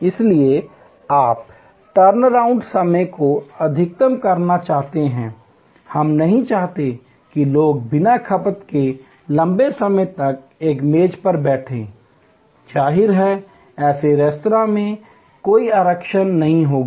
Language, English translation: Hindi, So, you want to maximize the turnaround time, we do not want people to sit at a table for long time without consumption; obviously, in such restaurants, there will be no reservation